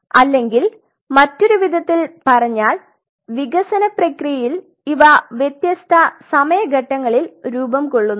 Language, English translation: Malayalam, So, in other word in the process of development these have formed at different time points